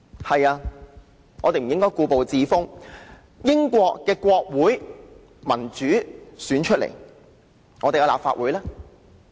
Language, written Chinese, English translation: Cantonese, 對的，我們不應故步自封，英國國會是由民主選舉產生，但我們的立法會呢？, Right we should not be complacent . The British Parliament is elected democratically but what about the Legislative Council in our case?